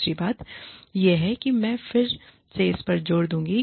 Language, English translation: Hindi, The other thing is, again, i will stress on this